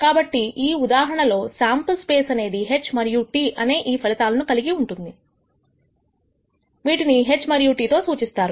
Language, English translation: Telugu, So, in this case the sample space consists of these two outcomes H and T denoted by the symbols H and T